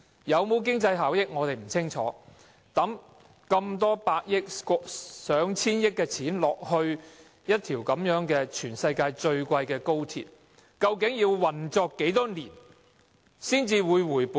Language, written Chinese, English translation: Cantonese, 有否經濟效益，我們不清楚，但以過千億元興建一條全世界最昂貴的高鐵，究竟要運作多少年才能回本？, We are not sure if there will be economic benefits but how many years of operation are required to recover the 100 - odd billion construction costs of the most expensive high - speed rail in the world?